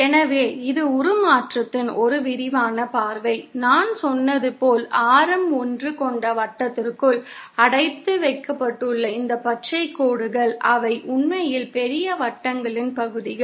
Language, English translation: Tamil, So, this is a more elaborate view of the transformation, as I said, these green lines which are confined within the circle having radius 1, they are actually the portions of bigger circles